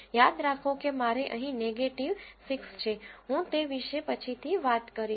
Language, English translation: Gujarati, Remember I have a negative 6 here, I will talk about it while later